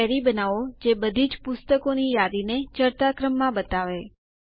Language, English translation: Gujarati, Create a query that will list all the Books in ascending order